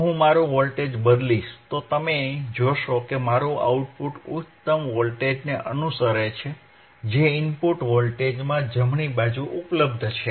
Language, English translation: Gujarati, , iIf I change my voltage, if I change my voltage, you see my output is following my output is following the highest voltage that is available in the input signal right